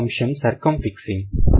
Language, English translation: Telugu, The second one is circumfixing